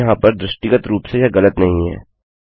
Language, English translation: Hindi, Now there isnt anything visually wrong with this